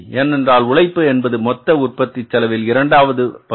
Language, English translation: Tamil, Because second component in the total cost of the production is the labor